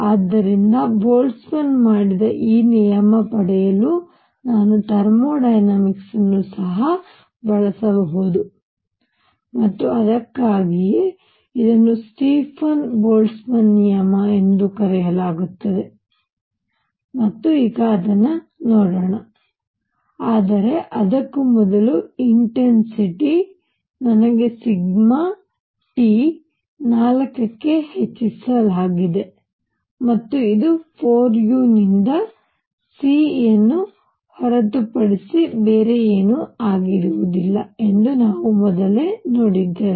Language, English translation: Kannada, So, I can use thermodynamics also to derive this law which was done by Boltzmann and that is why it is known as Stefan Boltzmann law and let us now do that, but before that the intensity; I is given as sigma T raise to 4 and we have seen earlier that this is nothing but c by 4 u